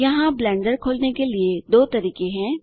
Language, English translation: Hindi, To do that we need to open Blender